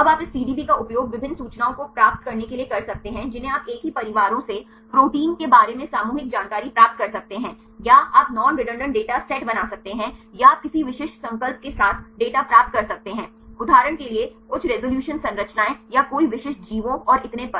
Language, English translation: Hindi, Now, you can use this PDB to get various information you can get the collective information regarding the proteins from same families or you can create non redundant data sets or you can get the data with any specific resolution for example, high resolution structures or any specific organisms and so on